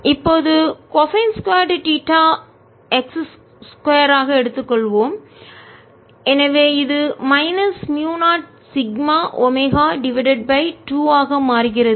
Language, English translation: Tamil, now we take cosine square theta to be x square, so this becomes minus mu zero sigma omega over two at theta equals zero, cosine theta is one